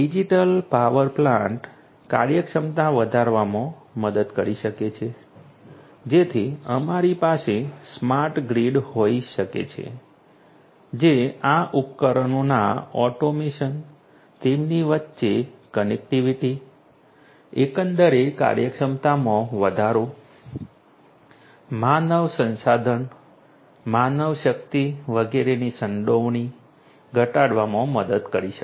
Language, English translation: Gujarati, A digital power plant can help increase the efficiency so we can have smart grids which can help in automated devices we are automation, automation of these devices connectivity between them, overall increasing the efficiency, reducing the involvement of human resources, manpower and so on